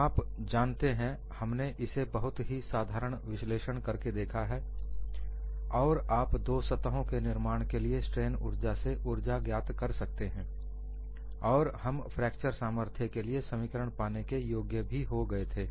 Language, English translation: Hindi, Now, we have looked at from very simplistic analysis that, you had got a energy from strain energy for the formation of two new surfaces, and we were able to get the expression for fracture strength